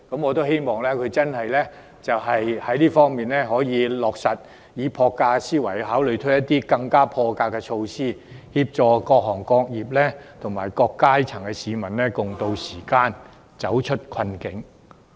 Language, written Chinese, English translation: Cantonese, 我希望他可以落實這些建議，並以破格思維推出破格措施，協助各行各業及各階層市民共渡時艱，走出困境。, I hope that he will implement the proposals and put in place innovative measures by thinking out of the box so as to assist various trades and industries and people of all walks of life to walk out from the doldrums